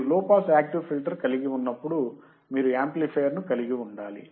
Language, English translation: Telugu, When you have to have low pass active filter, you have to have an amplifier